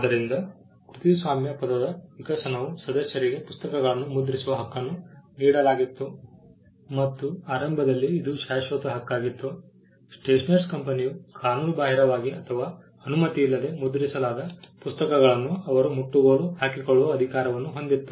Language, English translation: Kannada, So, the evolution of the word copyright also can be tied to the right of the members to print books and it was initially a perpetual right the stationer’s company also had the power to confiscate books that were illegally or printed without their authorisation